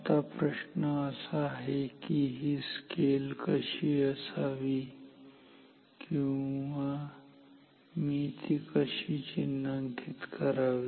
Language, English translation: Marathi, Now, the question is what should be the or how should I mark this scale ok